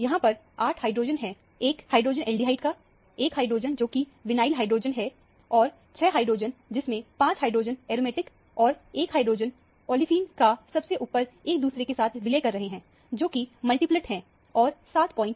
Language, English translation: Hindi, There are 8 hydrogen; one hydrogen the aldehyde, one hydrogen, which is a vinylic hydrogen; and, 6 hydrogen, which is a 5 hydrogen are of aromatic plus 1 hydrogen of the olefine merging on top of each other, which is the multiplet responsible for the signal around 7